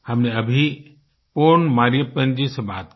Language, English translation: Hindi, We just spoke to Pon Mariyappan ji